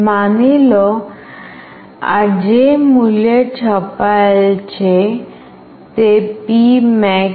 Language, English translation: Gujarati, Suppose, the value which is printed is P max